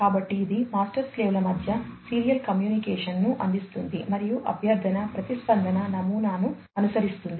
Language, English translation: Telugu, So, it provides the serial communication between the master/slave and follows a request/response model